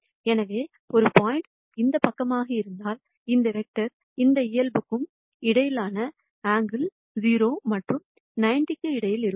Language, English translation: Tamil, So, if a point is this side, the angle between this vector and this normal is going to be between 0 and 90